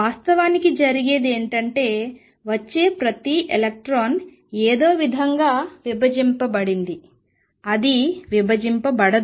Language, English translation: Telugu, What is happening is each electron that comes somehow gets divided it does not get divided it is wave gets divided